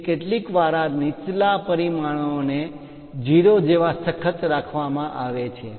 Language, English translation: Gujarati, So, sometimes this lower dimensions supposed to be strictly imposed like 0